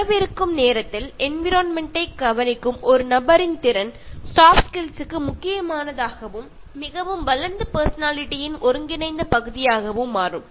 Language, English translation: Tamil, In the time to come, a person’s ability to care for the environment will become a crucial soft skill and an integral part of a very developed personality